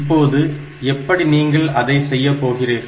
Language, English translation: Tamil, Now, how are you going to do that